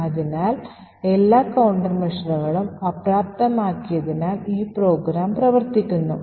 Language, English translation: Malayalam, So, this particular program is running because we have disabled all the countermeasures